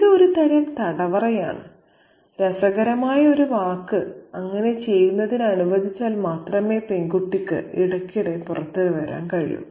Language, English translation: Malayalam, It is a kind of incarceration, an interesting word, out of which the girl can periodically emerge only if permitted to do so